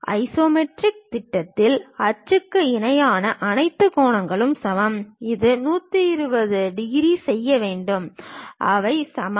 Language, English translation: Tamil, In isometric projection, all angles between axiomatic axis are equal; it is supposed to make 120 degrees and they are equal